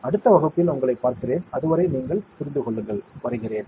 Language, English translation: Tamil, And I will see you in the next class, till then you take care, bye